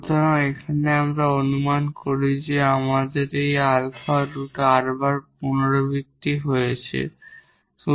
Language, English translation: Bengali, So, here we assume that we have this alpha root r times repeated